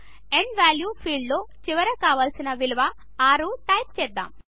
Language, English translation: Telugu, In the End value field, we will type the last value to be entered as 6